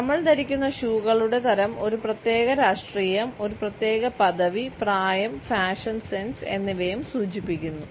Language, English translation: Malayalam, The type of shoes which we wear also indicate a particular politics a particular status as well as age and fashion sense